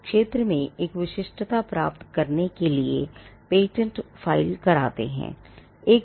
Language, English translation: Hindi, Now the reason why people file patents are to get a exclusivity in the field